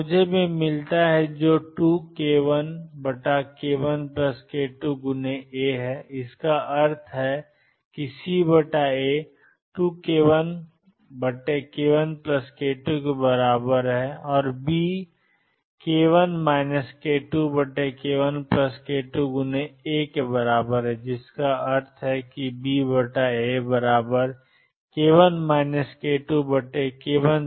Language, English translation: Hindi, So, I get C which is 2 k 1 over k 1 plus k 2 A implies C over A as 2 k 1 over k 1 plus k 2 and B which is k 1 minus k 2 over k 1 plus k 2 A which implies that B over A is equal to k 1 minus k 2 over k 1 plus k 2